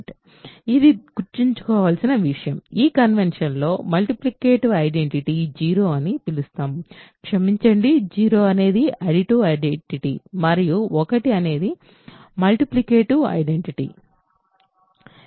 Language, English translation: Telugu, It is our convention to remember, it is our convention to call the multiplicative identity is 0, sorry additive identity is 0 and multiplicative identity 1